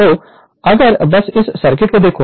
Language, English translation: Hindi, So, if you if you just look into the circuit